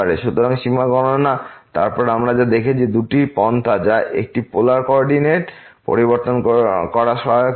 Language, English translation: Bengali, So, computing the limit then what we have seen two approaches the one was changing to the polar coordinate would be helpful